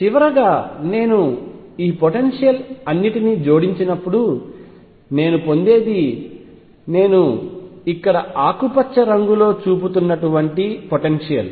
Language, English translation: Telugu, Finally, when I add all these potentials what I get is the potential like I am showing in green out here like this